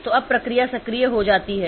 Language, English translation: Hindi, So, that becomes a process